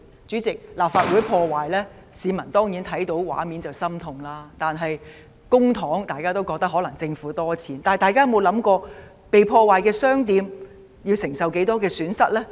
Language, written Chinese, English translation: Cantonese, 主席，市民看到立法會遭破壞的畫面當然感到心痛，而對於涉及的公帑，大家可能覺得政府有很多錢，但大家有否想過被破壞的商店要承受多少損失呢？, President the public surely felt distressed watching the scenes of sabotage of the Legislative Council Complex and regarding the public coffers involved they may think that the Government is rich but have they thought about the loss suffered by the damaged shops?